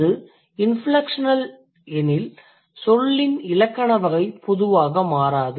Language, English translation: Tamil, So, when it is inflection, that means the grammatical category of the word generally doesn't change